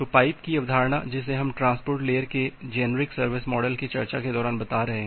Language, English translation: Hindi, So the concept of pipe that we are talking about during our discussion of generic service model of the transport layer